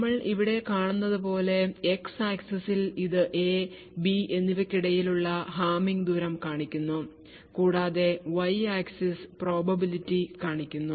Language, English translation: Malayalam, And as we see over here, on the X axis it shows the Hamming distance between A and B and the Y axis shows the probability